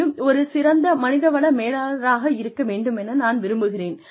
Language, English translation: Tamil, I would like to be, the best human resources manager